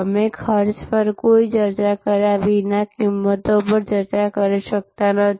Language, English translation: Gujarati, We cannot have a discussion on pricing without having any discussion on costs